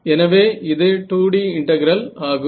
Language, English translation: Tamil, So now, this is a 2D integral